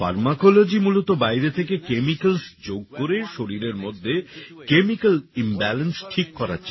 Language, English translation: Bengali, Pharmacology is essentially trying to fix the chemical imbalance within the body by adding chemicals from outside